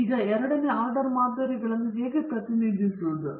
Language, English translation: Kannada, Okay so, now, how do we represent the second order models